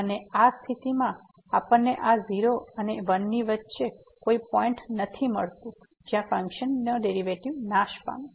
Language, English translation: Gujarati, And, in this case we are not getting any point between this 0 and 1 where the function is taking over the derivative is vanishing